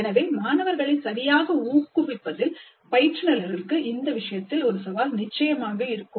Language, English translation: Tamil, So the instructors will have a challenge in motivating the students properly